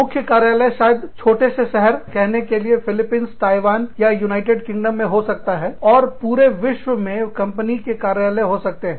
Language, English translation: Hindi, The office may be, in a small town, in say, the Philippines, or in say, Taiwan, or in say, the United Kingdom